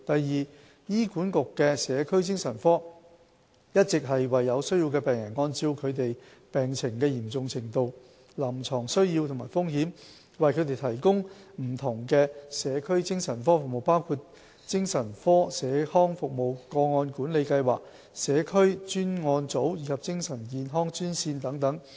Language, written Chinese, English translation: Cantonese, 二醫管局的社區精神科，一直為有需要的病人，按照他們病情的嚴重程度、臨床需要和風險，為他們提供不同的社區精神科服務，包括精神科社康服務、個案管理計劃、社區專案組及精神健康專線等。, 2 The Community Psychiatric Services of HA provides a range of community psychiatric services including Standard Community Psychiatric Services Case Management Programme Intensive Care Teams and Mental Health Direct hotline for needy patients according to their conditions clinical needs and risk levels